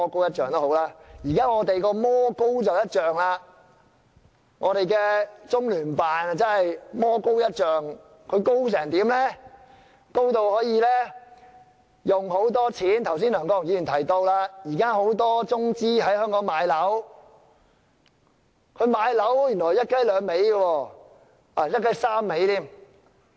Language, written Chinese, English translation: Cantonese, 現在的情況是魔高一丈，我們的中聯辦真的是魔高一丈，高至他們可以花很多金錢，剛才梁國雄議員也提到，現時很多中資在香港買樓，原來他們買樓是"一雞兩味"，甚至是"一雞三味"。, What we have seen now is that the devil is ten times stronger . LOCPG is really a devil that is ten times stronger so strong that they can spend a fortune and just as Mr LEUNG Kwok - hung said just now there are often cases of properties in Hong Kong being purchased with capital from China . We have now come to realize that they purchase flats to serve two purposes or even three purposes